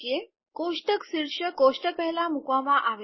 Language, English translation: Gujarati, Table caption is put before the table